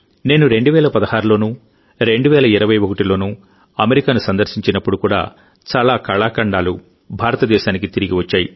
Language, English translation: Telugu, Even when I visited America in 2016 and 2021, many artefacts were returned to India